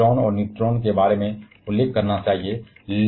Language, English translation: Hindi, We should mention about positrons and neutrinos